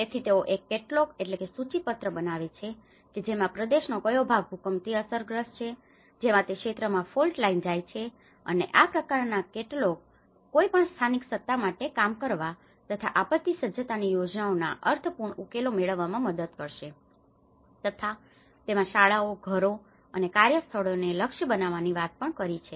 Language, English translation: Gujarati, So, they make a catalogue that which part of the region and which is affected by the earthquakes because a fault line goes in that region and such kind of catalogues will help, and it can actually give a meaningful solutions for any local authority to work on a disaster preparedness plans or which could also talk about targeting schools and homes and workplaces